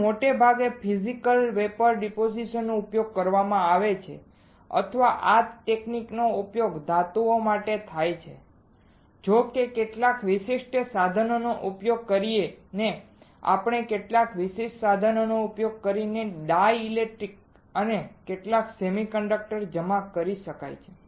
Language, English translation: Gujarati, Now most of the time Physical Vapor Depositions are used or this technique is used for metals right; however, dielectrics and some semiconductors can be deposited using some specialized equipment, using some specialized equipment